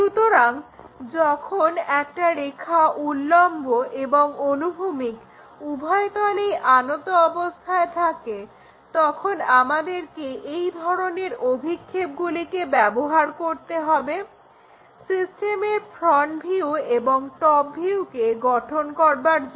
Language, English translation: Bengali, So, when a line is inclined to both vertical plane, horizontal plane, we have to use this kind of projections to construct this front view and top view of the system